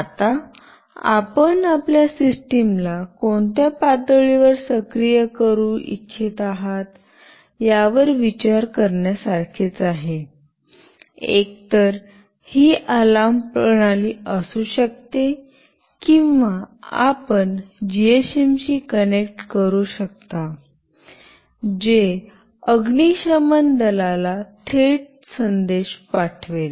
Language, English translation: Marathi, Now, this is something you have to think upon like at what level you want your system to get activated, either it can be an alarm system or you can connect a GSM that will directly send a message to fire brigade